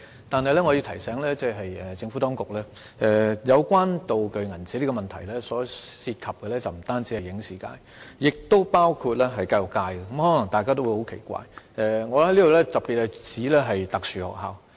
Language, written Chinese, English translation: Cantonese, 但是，我要提醒政府當局，有關"道具鈔票"的問題，涉及的不僅影視界，也包括教育界，可能大家會感到十分奇怪，我特別是指特殊學校。, However I have a reminder for the Administration . The problem of prop banknotes affects not just the film and television industries but also the education sector . People may find what I said peculiar